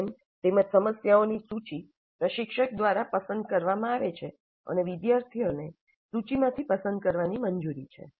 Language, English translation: Gujarati, The domain as well as a list of problems in the domain are selected by the instructor and students are allowed to choose from the list